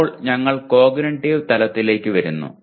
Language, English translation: Malayalam, Now we come to the cognitive level